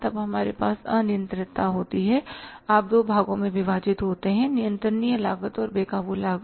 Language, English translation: Hindi, Then we have the controllability we call divide into two parts controllable cost and uncontrollable costs